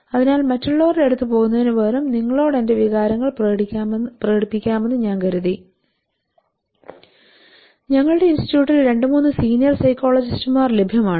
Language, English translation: Malayalam, So I thought I could express my feelings instead if going there are two three seniors psychologist available in our institute